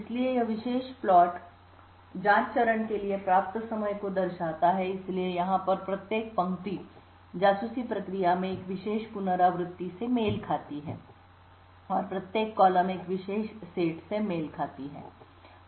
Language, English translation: Hindi, obtained for the probe phase, so each row over here corresponds to one particular iteration in the spy process and each column corresponds to a particular set